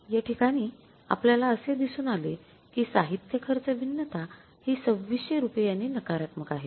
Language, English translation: Marathi, Here in this case we have found out is material cost variance is negative by 2,600 rupees